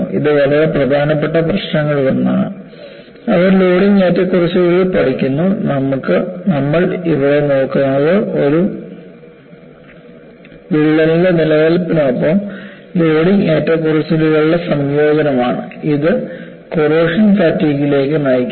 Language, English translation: Malayalam, It is one of the very important problem, that they study the loading fluctuations, and what we look at here is combination of loading fluctuation with existence of a crack, will lead to onset of corrosion fatigue